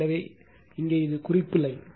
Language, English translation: Tamil, So, here it is your reference line